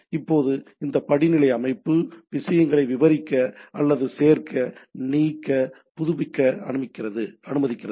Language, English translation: Tamil, Now this hierarchical structure allows me to expand or add, delete, update type of things right